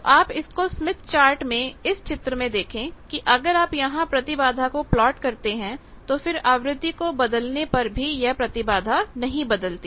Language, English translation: Hindi, So, you see that from this diagram that there is in the smith chart, if you plot the impedance, now if even with change in frequency the impedance does not change